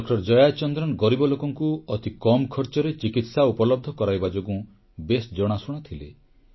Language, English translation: Odia, Jayachandran was known for his efforts of making the most economical treatment possible available to the poor